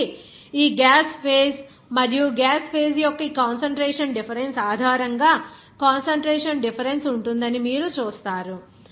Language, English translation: Telugu, So, based on that concentration difference of this gaseous phase and the liquid phase, you will see there will be concentration difference